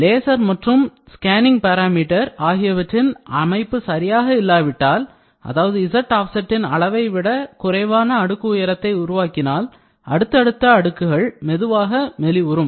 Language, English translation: Tamil, If the laser and the scanning parameter setting used are inherently incapable of producing a deposit thickness at least as thick as the layer thickness z offset value, subsequent layer will become thinner and thinner